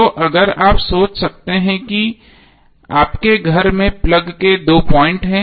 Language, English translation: Hindi, So if you can imagine that these are the two thumbnails of your plug point in the house